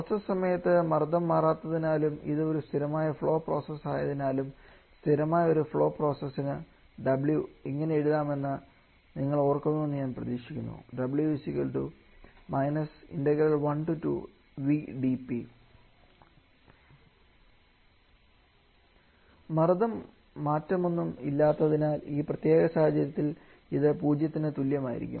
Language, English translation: Malayalam, But as the pressure is not changing during the process and this being a steady flow process I hope you remember that for a steady flow process w can be written as integral minus v dP from state 1 to state 2 another is no pressure change this can be equal to zero in this particular situation